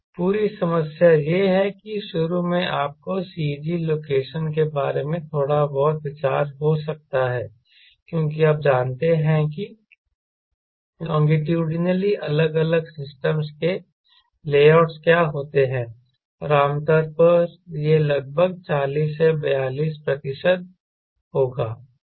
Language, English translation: Hindi, right, the whole problem is: you may have initially some rough idea about the cg location because you know what are the layouts in different systems, longitudinally and generally it will be around forty to forty two percent